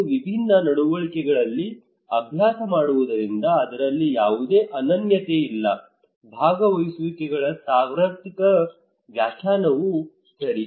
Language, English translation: Kannada, And practised in different manners there is no unique there is the one universal definition of participations okay